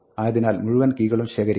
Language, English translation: Malayalam, So, pick up all the keys